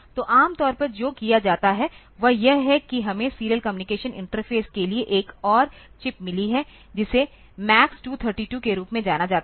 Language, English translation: Hindi, So, normally what is done is that we have got a for serial communication interface we have got another chip which is known as MAX232